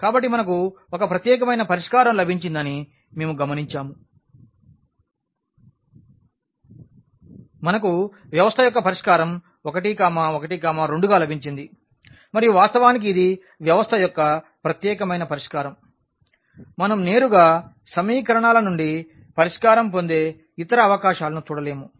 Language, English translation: Telugu, So, what we have observed that we have the we have got a unique solution we have got a solution of the system as 1, 1, 2 and indeed this is the unique solution of the system we do not see any other possibility directly getting the solution from the equations